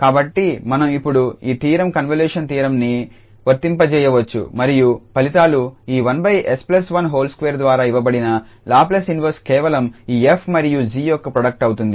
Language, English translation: Telugu, So, we can apply this theorem the convolution theorem now, and results says that the Laplace inverse given by this one over s plus 1 s square will be simply the product of this f and g